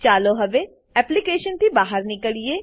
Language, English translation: Gujarati, Let us now exit from the application